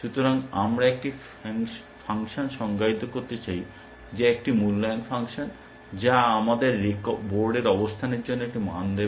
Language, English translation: Bengali, So, we want to define a function which is an evaluation function, which will give us a value for the board position